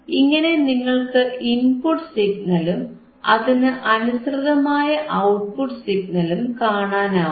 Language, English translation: Malayalam, So, you can see the signal input signal and then we can also see the corresponding output signal right ok